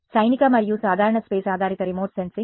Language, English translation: Telugu, Military and general space based remote sensing